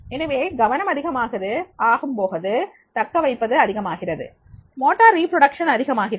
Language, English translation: Tamil, So therefore the higher is the attention, more is the retention and more will be the motor reproduction will be there